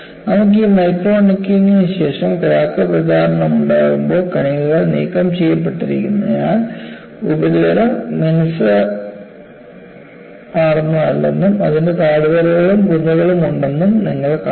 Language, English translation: Malayalam, And you see, when you have this micro necking followed by crack propagation, because you have particles are removed, you find the surface is not smooth, it has valleys and mounts